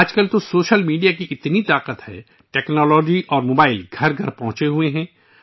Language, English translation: Urdu, Nowadays, the power of social media is immense… technology and the mobile have reached every home